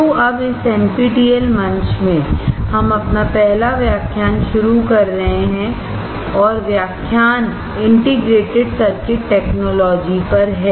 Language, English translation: Hindi, So now, in this NPTEL platform, we are starting our first lecture and the lecture is on integrated circuit technology